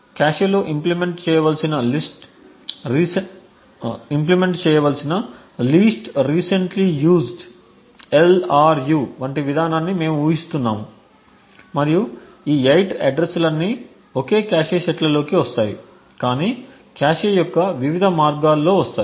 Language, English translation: Telugu, We assume policy such as the Least Recently Used to be implemented in the cache and assume the fact that all of these 8 addresses would fall in the same cache sets but in different ways of the cache